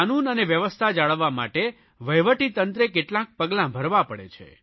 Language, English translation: Gujarati, The government has to take some steps to maintain law and order